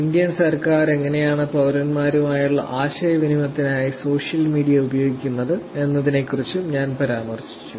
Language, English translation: Malayalam, I also mentioned about how Indian government is using social media for their interactions with citizens